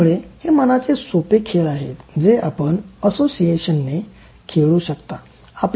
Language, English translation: Marathi, So, these are simple mind games that you can play by association